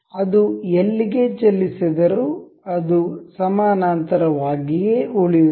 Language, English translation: Kannada, Anywhere it moves, it will remain parallel